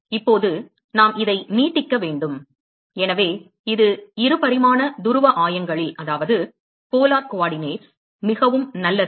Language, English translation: Tamil, Now we need to extend this; so this is very good a in 2 dimensional polar coordinates